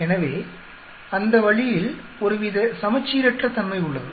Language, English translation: Tamil, So, that way there is some sort of asymmetric